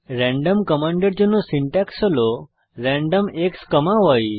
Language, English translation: Bengali, Syntax for the random command is random X,Y where X and Y are two inputs